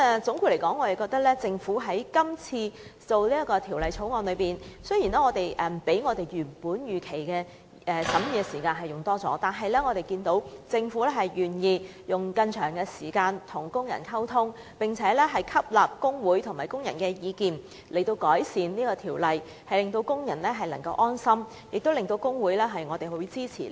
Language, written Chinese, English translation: Cantonese, 總括而言，就政府今次擬備的《條例草案》，雖然審議所需時間較預期的長，但我們樂見政府願意多花時間與工人溝通，並且吸納工會和工人的意見以完善《條例草案》，既讓工人安心，亦令修正案獲得工會支持。, In summary as far as the Bill prepared by the Government this time is concerned we are pleased to see that the Government was willing to communicate with workers and has adopted the views of both the trade unions and workers in making the Bill comprehensive regardless that the time required for scrutiny was longer than expected . This has helped put workers mind at ease and win trade unions support for the amendments